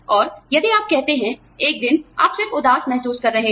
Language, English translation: Hindi, And, if you say, one day, you are just feeling low